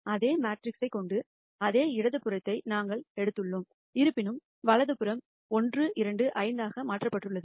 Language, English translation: Tamil, We have taken the same left hand side we have the same a matrix; however, the right hand side has been modified to be 1 2 5